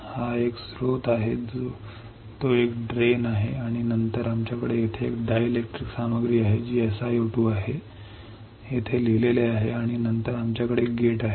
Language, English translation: Marathi, It is a source it is a drain right and then we have here a dielectric material which is SiO2, written over here and then we have a gate